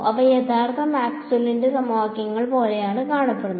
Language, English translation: Malayalam, They look like original Maxwell’s equations in which case